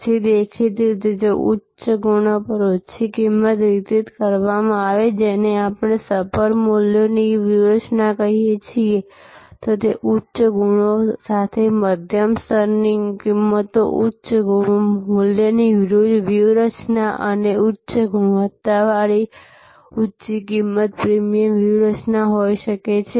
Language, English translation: Gujarati, Then; obviously, if the, at high qualities delivered at low price that we can call the supper values strategy, a medium level pricing with high qualities, high value strategy and high price with high quality could be the premium strategy